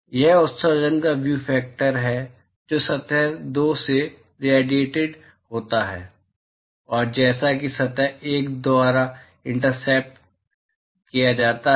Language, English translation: Hindi, So, that is the view factor of emission that is radiated from surface two and as intercepted by surface one